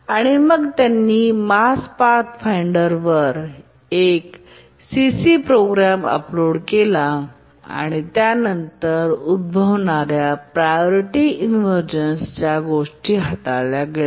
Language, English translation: Marathi, And then they uploaded a short C program onto the Mars Pathfinder and then the unbounded priority inversion that was occurring could be tackled